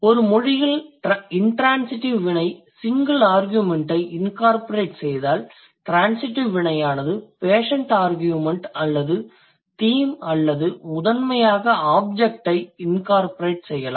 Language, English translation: Tamil, If in a language a transitive verb incorporates single argument, sorry, the intransitive verb incorporates single argument, then the transitive word would incorporate the patient argument or the theme or you can primarily the object